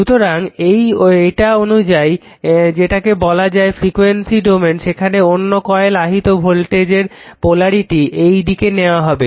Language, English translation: Bengali, So, according to that in the your what you call in that your frequency domain the polarity of that induce voltage in other coil is taken